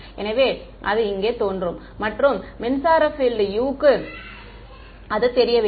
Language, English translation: Tamil, So, it appears over there and electric field is unknown u